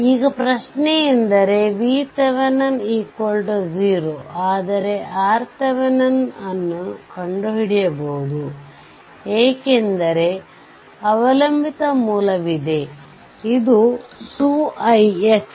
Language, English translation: Kannada, V V So, now, question is that V Thevenin is 0, but you can find out R Thevenin, because dependent source is there this is 2 i x and this is i x